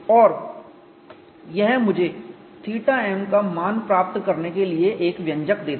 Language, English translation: Hindi, And this gives me an expression to get the value of theta m